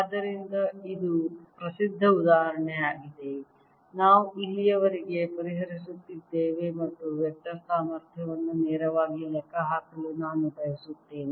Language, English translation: Kannada, so this is the well known example we've been solving so far, and i want to calculate for the vector potential directly